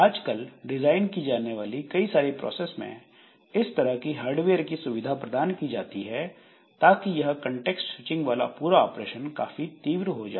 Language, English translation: Hindi, So, many of the processors that are designed now they provide facility for in the hardware for doing this context switching fast and that way it makes the whole operation, whole context switching to be done quite fast